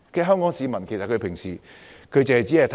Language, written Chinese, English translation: Cantonese, 香港市民平時只着眼公平。, Hong Kong people often focus their attention on fairness only